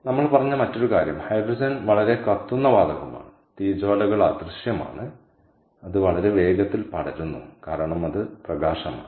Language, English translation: Malayalam, the other thing we said was hydrogen is a highly combustible gas and the flames are invisible and it spreads very rapidly because its light